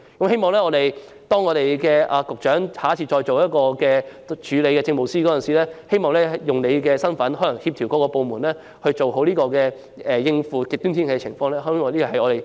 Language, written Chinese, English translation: Cantonese, 希望局長下次出任署理政務司司長時，能用你的身份協調各個部門，做好應付極端天氣的安排，這是政府......, I hope that next time when the Secretary acts up as the Acting Chief Secretary for Administration he will make use of his capacity to coordinate various departments to make good arrangements to cope with extreme weather